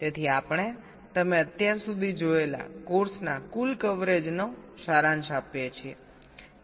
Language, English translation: Gujarati, so we summarize the total coverage of the course that you have seen so far